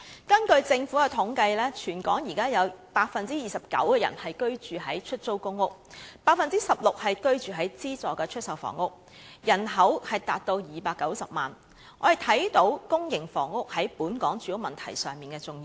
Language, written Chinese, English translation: Cantonese, 根據政府的統計，全港有 29% 的人居於出租公屋 ，16% 居於資助出售房屋，人口達290萬，可見公營房屋在本港住屋問題上的重要性。, According to the Governments statistics 29 % of Hong Kongs population live in PRH and 16 % in subsidized sale flats totalling 2.9 million people thus showing the importance of public housing to addressing the housing problem in Hong Kong